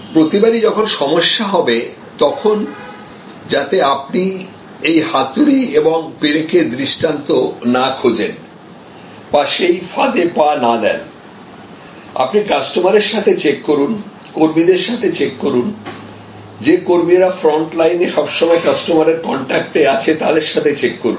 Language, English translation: Bengali, So, every time there is a problem, so that you do not fall into this hammer and nail paradigm or trap check with the customer, check with your employees, check with your front line, the people always in contact with the customers